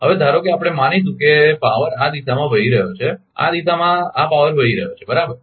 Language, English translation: Gujarati, Now suppose we will assume the power is flowing in this direction the power is flowing in this direction right